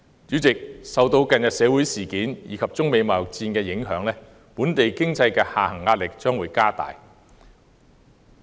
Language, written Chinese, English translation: Cantonese, 主席，受到近日社會事件及中美貿易戰的影響，本地經濟下行壓力將會加大。, President under the influence of recent social incidents and the China - United States trade war the pressure of the economic downturn will increase